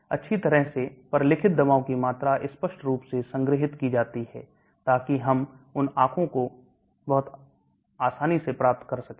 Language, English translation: Hindi, The volume of well documented drugs are clearly stored so we can get those data very easily